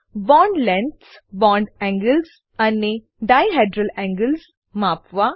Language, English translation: Gujarati, * Measure bond lengths, bond angles and dihedral angles